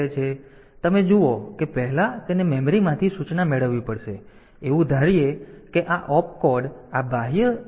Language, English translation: Gujarati, So, you see that first it has to get the instruction from memory; for that purpose, assuming that this Opcode this instruction is in the external memory